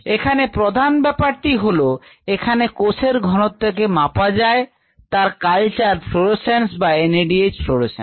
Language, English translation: Bengali, the main points here is that the cell concentration can be measured by following the culture fluorescence or the NADH fluorescence